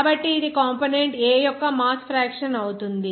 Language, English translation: Telugu, So, it will be by a mass fraction of component A